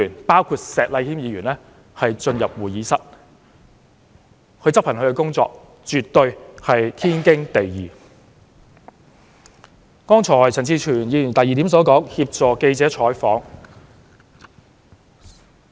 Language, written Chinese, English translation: Cantonese, 保安執行他們的工作，絕對是天經地義。剛才陳志全議員提出的第二點，是協助記者採訪。, Their job is to help with the normal operation of the Legislative Council including maintaining order in our Council